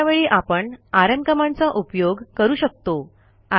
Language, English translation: Marathi, Let us try the rm command to do this